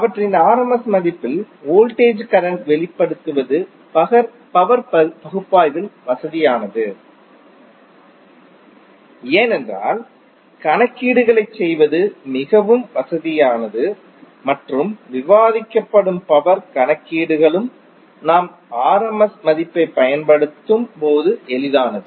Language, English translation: Tamil, It is convenient in power analysis to express voltage and current in their rms value because it is more convenient to do the calculations and the power calculations which is discussed is also easy when we use the rms value